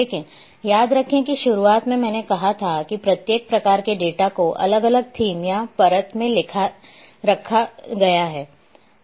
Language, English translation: Hindi, But, remember that in the beginning I have said that each layer each type of data is kept in different themes or different layer